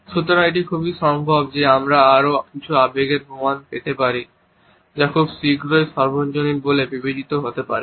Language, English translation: Bengali, So, it is quite possible that we may also get evidence of some more emotions which may be considered universal very shortly